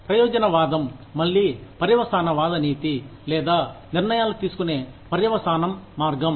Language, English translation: Telugu, Utilitarianism is again, a consequentialist ethic, or consequentialist way of making decisions